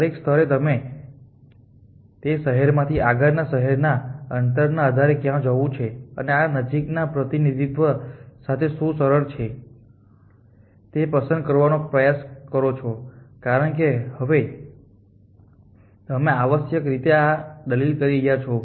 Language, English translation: Gujarati, At every stage we try to choose where to go from that city based on the distance to the next city and that is easy to do with this I, because you are now easing in this fashion essentially